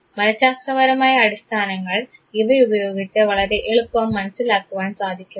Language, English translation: Malayalam, The psychological underpinning can be very easily be understood out of it